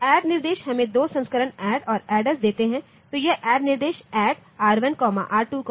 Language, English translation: Hindi, Like the ADD instruction we have got two variants ADD and ADDS; So, this ADD instruction, ADD R1 R2 R3